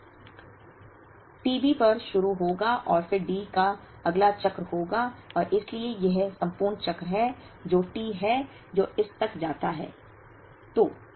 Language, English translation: Hindi, Will start at t B and then again the next cycle of D will happen and therefore, this is the entire cycle, which is T that goes up to this